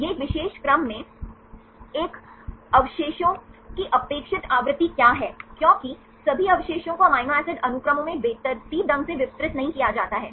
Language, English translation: Hindi, These are shuffled sequences, then what is the expected frequency of a particular residue i at a particular position, because all the residues are not randomly distributed in amino acid sequences